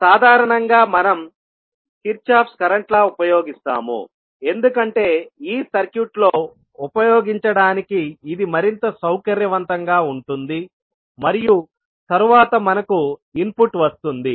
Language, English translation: Telugu, Generally, we use only the Kirchhoff’s current law because it is more convenient in walking through this circuit and then we obtained the input